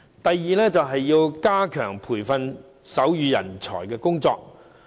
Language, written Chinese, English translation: Cantonese, 第二，加強培訓手語人才的工作。, Second the training of sign language talents should be enhanced